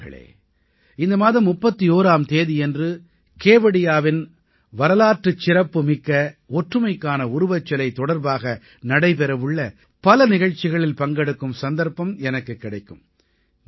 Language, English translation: Tamil, Friends, on the 31stof this month, I will have the opportunity to attend many events to be held in and around the historic Statue of Unity in Kevadiya…do connect with these